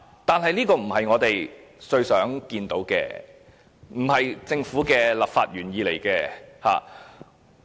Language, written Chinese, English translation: Cantonese, 但是，這並非我們最想見到的，這並非政府的立法原意。, But this is not what we truly want to see and this is not the legislative intent of the Government